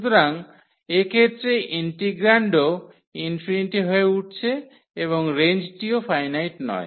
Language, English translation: Bengali, So, in this case the integrand is also becoming infinity and the range is also not finite